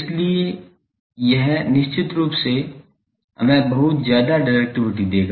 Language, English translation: Hindi, So, it will definitely give us very high directivity